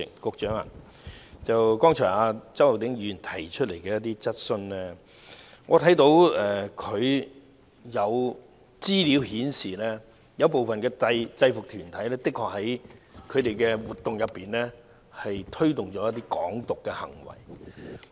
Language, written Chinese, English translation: Cantonese, 局長，就周浩鼎議員剛才提出的質詢，我看到有資料顯示，部分制服團體的確在活動中推動"港獨"的行為。, Secretary regarding the question raised by Mr Holden CHOW just now I note from some information that some UGs have indeed promoted Hong Kong independence in their activities